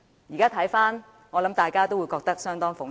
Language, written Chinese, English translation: Cantonese, 如今回想，相信大家都會覺得相當諷刺。, In retrospect I believe we all find it rather ironic